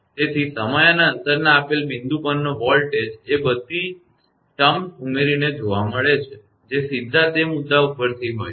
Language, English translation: Gujarati, So, the voltage at a given point in time and distance is found by adding all terms that are directly above that point